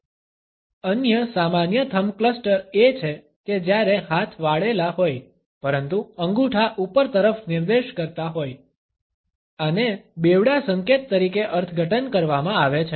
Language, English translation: Gujarati, Another common thumb cluster is when arms are folded, but thumbs are pointing upwards, this is interpreted as a double signal